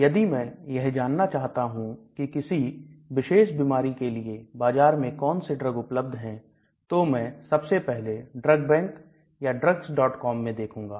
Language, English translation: Hindi, So if I want to know what is the drug available in the market for a particular disease the first step is I will go into these drug bank and drugs